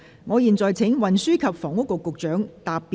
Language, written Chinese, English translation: Cantonese, 我現在請運輸及房屋局局長答辯。, I now call upon the Secretary for Transport and Housing to reply